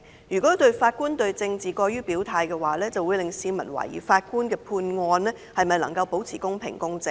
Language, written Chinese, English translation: Cantonese, 如果法官對政治過於表態的話，這樣會令市民懷疑法官的判決能否保持公平公正。, If Judges express their political stance unduly it may prompt public queries about the fairness and impartiality of Judges in passing judgment